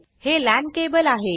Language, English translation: Marathi, This is a LAN cable